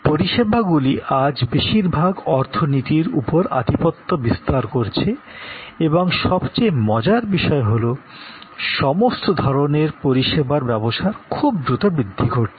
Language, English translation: Bengali, So, services today dominate most economies and most interestingly all types of services business are growing very rapidly